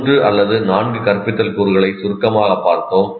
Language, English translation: Tamil, This is, we have seen briefly three or four instructional components